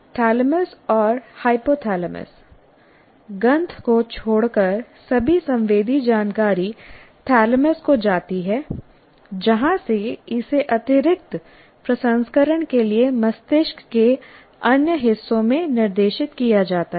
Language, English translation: Hindi, All sensory information except smell goes to the thalamus from where it is directed to other parts of the brain for additional processing